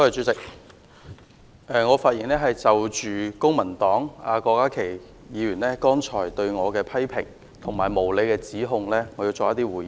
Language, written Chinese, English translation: Cantonese, 主席，我想就公民黨郭家麒議員剛才對我的批評和無理指控作回應。, President I wish to respond to the criticisms and ungrounded accusations against me by Dr KWOK Ka - ki of the Civic Party